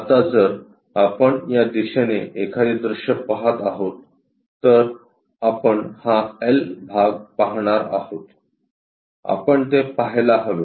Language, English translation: Marathi, Now, if we are looking a view from this direction, what we are supposed to see is this L portion, we are supposed to see